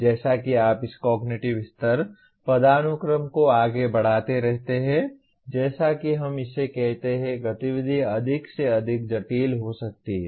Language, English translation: Hindi, So as you keep moving up this cognitive level hierarchy the activity can become more and more complex as we call it